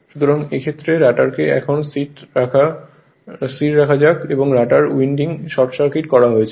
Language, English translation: Bengali, So, in this case so in this case let the rotor be now held stationary and the rotor winding is short circuited